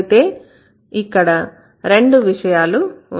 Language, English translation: Telugu, So, there are two things